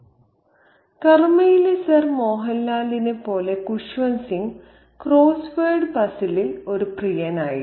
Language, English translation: Malayalam, Kushwan Singh, like Sir Mohan Lal of karma, was a lover of the crossword puzzle